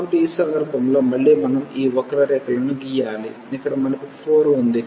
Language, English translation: Telugu, So, in this case again we need to draw these curves here we have the 4